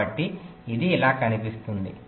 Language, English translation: Telugu, right, so it will look something like this